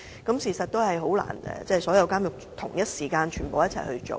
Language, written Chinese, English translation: Cantonese, 但事實上，的確難以在所有監獄同一時間進行安裝。, But actually it is really difficult to conduct installation in all prisons simultaneously